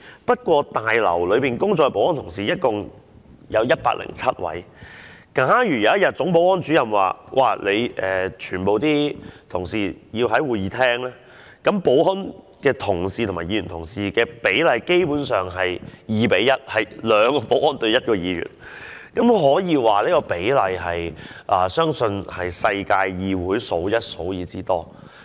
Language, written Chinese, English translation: Cantonese, 不過，大樓內工作的保安同事一共有107位，假如有一天總保安主任說全部保安人員都要到會議廳，那麼保安人員與議員的比例便是 2：1， 這個比例相信是全世界議會中數一數二之多。, But there are a total of 107 security staff working in this Complex . Someday if the Chief Security Officer calls all the security staff to the Chamber the ratio of security officers to Members will be 2col1 and this ratio is believed to be one of the highest among the parliaments of the globe